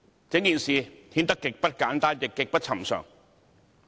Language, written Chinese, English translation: Cantonese, 整件事顯得極不簡單，亦極不尋常。, The entire incident was most intricate and highly unusual